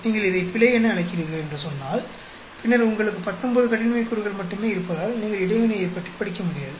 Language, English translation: Tamil, Say either you call this error, then you cannot study interaction because you have only 19 degrees of freedom